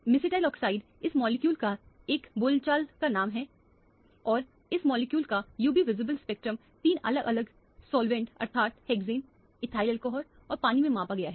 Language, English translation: Hindi, Mesityl oxide is a colloquial name for this molecule and this molecule the UV visible spectrum has been measured in three different solvent namely hexane, ethyl alcohol and water